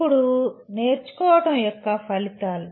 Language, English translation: Telugu, Now, outcomes of learning